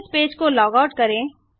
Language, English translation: Hindi, Lets log out of this page now